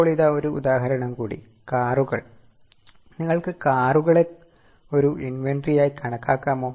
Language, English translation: Malayalam, For example, cars, can you treat cars as an inventory